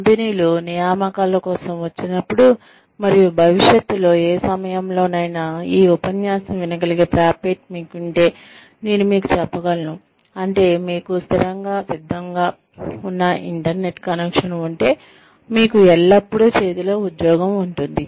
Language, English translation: Telugu, When companies come for placements, and I can tell you for a fact, if you have the capacity to listen to this lecture, at any point in the future, which means, you have a constant, a ready internet connection, you will always have a job in hand, provided, you are willing to work for it